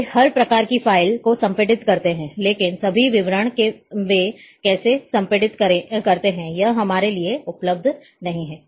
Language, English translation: Hindi, They they compress, each and every type of file, but all details how they compress are not available to us